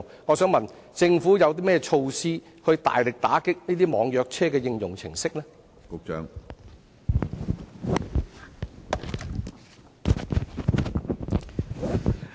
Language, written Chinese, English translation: Cantonese, 我想問局長，政府有何措施大力打擊這些網約車應用程式？, I would like to ask the Secretary if the Government has introduced any measure to vigorously clamp down on these e - hailing applications